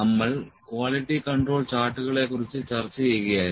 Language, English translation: Malayalam, So, we were discussing the Quality Control charts